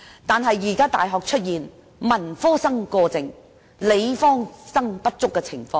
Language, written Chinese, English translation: Cantonese, 不過，現時大學出現文科生過剩，理科生不足的情況。, Today we have an excessive supply of arts graduates from universities but a shortage of science graduates